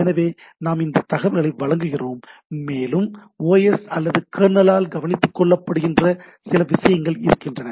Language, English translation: Tamil, So, we provide those information to look at and there are some of the things are taken care by the OS or the kernel itself